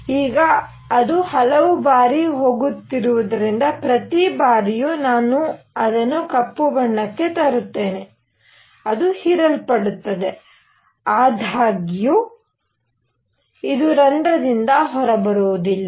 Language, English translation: Kannada, Now, since it is going around many many times, every time I can even make it black inside, it gets absorbed; however, it does not come out of the hole